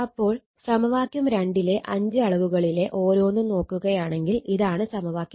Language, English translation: Malayalam, So, in this case that is each of the five quantities in equation 2 right